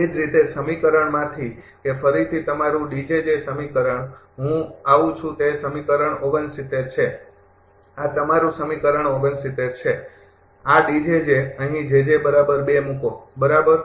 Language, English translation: Gujarati, Similarly, from this equation that again your D j j equation I come that is equation 69, this is your equation 69 these D j j here put j j is equal to 2, right